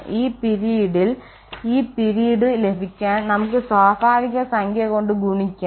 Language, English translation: Malayalam, The other period we can multiply by natural number to get this period